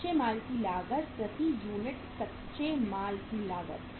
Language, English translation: Hindi, Cost of raw material per unit